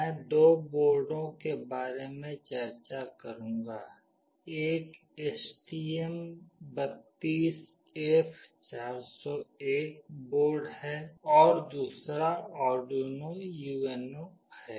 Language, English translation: Hindi, I will be discussing about two boards; one is STM32F401 board and another one is Arduino UNO